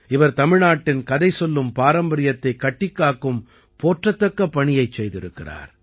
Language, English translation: Tamil, He has done a commendable job of preserving the story telling tradition of Tamil Nadu